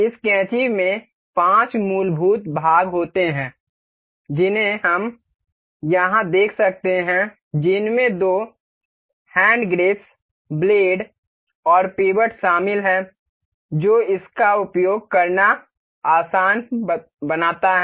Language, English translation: Hindi, This scissor consists of five fundamental parts that we can see here consists of two hand grips, the blades and the pivot that makes it easier to use